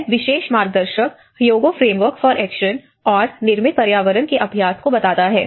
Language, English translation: Hindi, Here, this particular guide brings the Hyogo Framework for Action and built environment practice